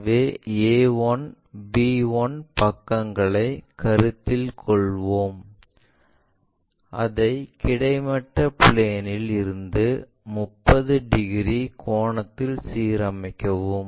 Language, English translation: Tamil, So, the side let us consider a 1 b 1 side we are going to pick it, align it with 30 degrees angle from the horizontal plane